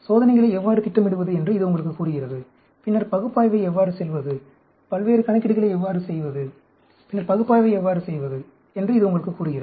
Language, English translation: Tamil, It tells you how to plan the experiments; it tells you how to do the analysis later, and do the various calculations